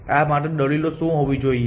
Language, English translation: Gujarati, What would be an argument for this